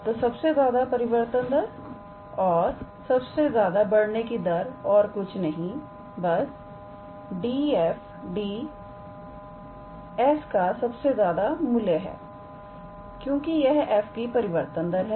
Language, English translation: Hindi, So, greatest rate of change or greatest rate of increase is nothing but the maximum value of d f d s because d f d s is the rate of change of f all right